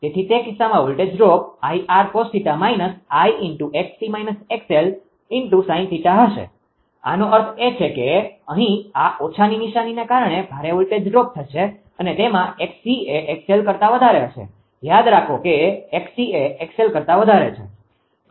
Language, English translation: Gujarati, So, in that case the voltage drop will be I r cos theta minus I x c minus x l sin theta; that mean there will be heavy voltage drop because of this minus sin here right and in that x c greater than x l; remember x c greater than x l